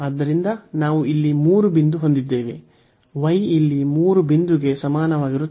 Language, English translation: Kannada, So, we have a 3 a point here y is equal to 3 a point